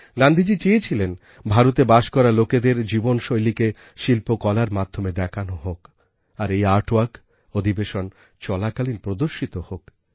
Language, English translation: Bengali, It was Gandhiji's wish that the lifestyle of the people of India be depicted through the medium of art and this artwork may be exhibited during the session